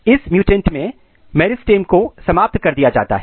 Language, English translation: Hindi, So, in this mutant the meristem is terminated